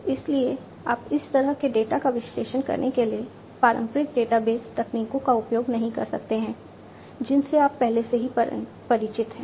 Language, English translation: Hindi, So, you cannot use the traditional database techniques that you are already familiar with in order to analyze this kind of data